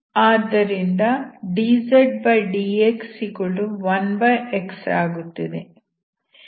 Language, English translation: Kannada, dzdx=1xdydz, so this will give me x